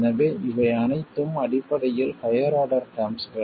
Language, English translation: Tamil, So all of these are basically higher order terms